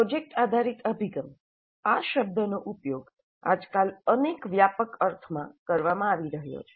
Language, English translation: Gujarati, The project based approach, this term is being used in several broad senses these days